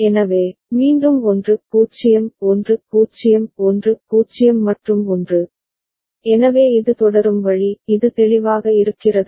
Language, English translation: Tamil, So, then again 1 0 1 0 1 0 and 1, so this is the way it will continue is it clear